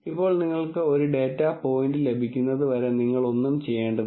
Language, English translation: Malayalam, Now, you do not have to do anything till you get a data point